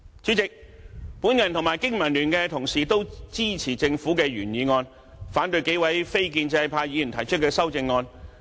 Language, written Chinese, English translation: Cantonese, 主席，我和經民聯同事都支持政府的原議案，反對數位非建制派議員提出的修正案。, President Members from BPA and I are in support of the original motion from the Government and are against the amendments from the few non - establishment Members